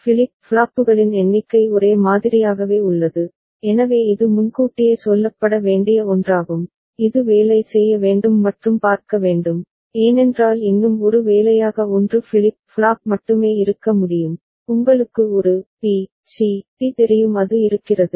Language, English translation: Tamil, Number of flip flops remains the same ok, so that is something cannot be told in advance that need to be worked out and see, because one more assignment could be that only 1 flip flop, you know a, b, c, d it is there